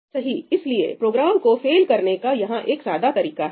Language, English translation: Hindi, so, here is a simple way of making this program fail, right